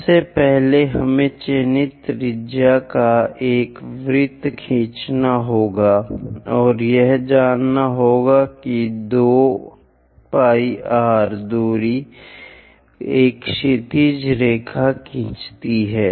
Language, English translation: Hindi, First, we have to draw a circle of chosen radius and know that 2 pi r distance draw a horizontal line